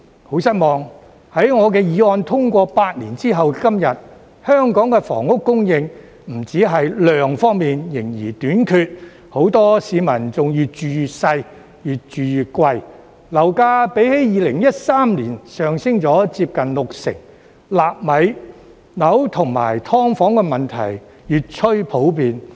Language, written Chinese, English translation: Cantonese, 很失望，在我的議案通過8年後的今天，香港房屋供應不止在量方面仍然短缺，很多市民更越住越細、越住越貴，樓價比2013年上升了接近六成，"納米樓"和"劏房"問題越趨普遍。, It is very disappointing that eight years after the passage of my motion not only is housing supply in Hong Kong still inadequate but many people are also living in increasingly smaller and more expensive flats . Property prices have increased by nearly 60 % compared to 2013 and the problems of nano flats and subdivided units are becoming more and more common